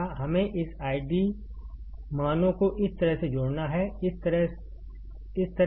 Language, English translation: Hindi, We have to just connect this I D values like this, like this, like this